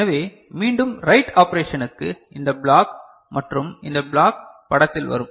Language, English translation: Tamil, So, coming back; for the write operation this block and this block come into picture, right